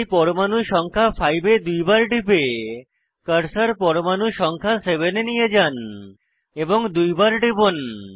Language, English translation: Bengali, So, double click on atom 5 and bring the cursor to atom number 7 and double click on it